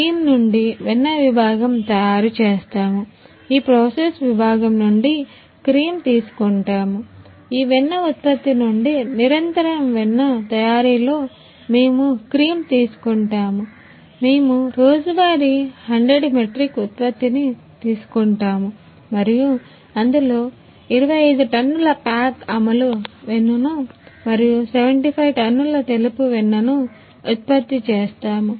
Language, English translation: Telugu, From cream we will make this is our butter section in this section we will take cream for process section, we will take cream in continuous butter making from this buttering production we will take production daily 100 metric ton and in these 25 ton pack in Amul butter and 75 ton production in white butter